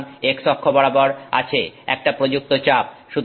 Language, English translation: Bengali, So, applied pressure is on this x axis